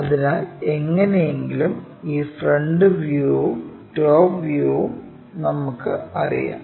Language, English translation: Malayalam, So, somehow, we know this front view and this top view also we know